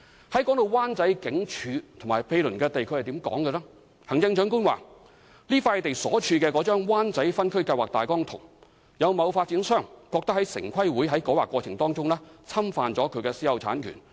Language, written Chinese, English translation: Cantonese, 提到灣仔警署和毗鄰土地，行政長官表示這幅地"處於那幅灣仔分區計劃大綱圖，有某發展商認為城市規劃委員會的改劃過程侵犯他的私有產權"。, As for the Wan Chai Police Station and its adjacent area the Chief Executive indicated that the site is in the outline zoning plan of Wan Chai and certain developers consider the rezoning procedure of the Town Planning Board has infringed their private ownership